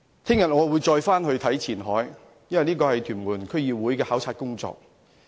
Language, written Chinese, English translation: Cantonese, 我明天會再往前海，因為這是屯門區議會的考察工作。, I will be on an inspection visit to Qianhai tomorrow in my capacity as the Tuen Mun District Council member